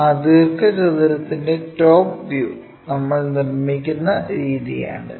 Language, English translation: Malayalam, This is the way we construct top view of that rectangle